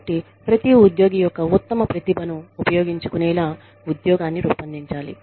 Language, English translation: Telugu, So, the job should be designed, to use the best talents, of each employee